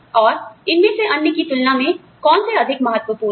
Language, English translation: Hindi, And, which of these is more important, than the other